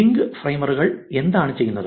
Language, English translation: Malayalam, And what the link framers do